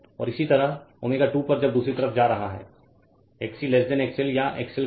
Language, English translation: Hindi, And similarly at omega 2 when is going to the other side XC less than XL or XL greater than XC